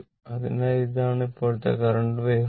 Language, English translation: Malayalam, So, this is the current waveform